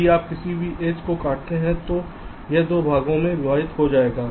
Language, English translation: Hindi, if you cut any edge, it will divide that it up into two parts